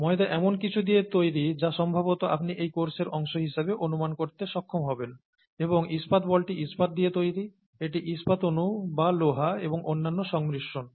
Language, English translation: Bengali, Dough is made up of something which we will, which you will probably be able to guess as a part of this course and steel ball is made up of steel, it is made up of steel molecules or iron plus other combination and so on and so forth